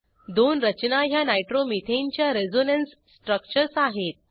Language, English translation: Marathi, The two structures are Resonance structures of Nitromethane.